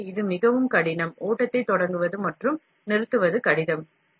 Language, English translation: Tamil, So, this is very very difficult, starting and stopping of the flow is difficult